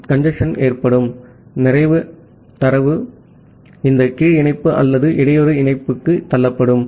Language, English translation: Tamil, So, the congestion will happen, when lots of data will be pushed to this lower link or the bottleneck link